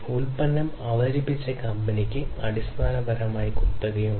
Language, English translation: Malayalam, So, the company which introduced the product basically has monopoly